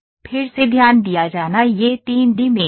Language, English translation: Hindi, Again to be noted this is 3D mesh